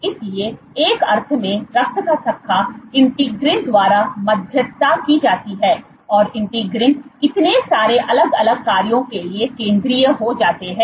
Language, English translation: Hindi, So, in a sense blood clotting is mediated by integrins and integrins are central to so many different functions